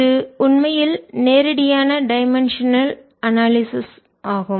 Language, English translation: Tamil, so this is actually straightforward dimensional analysis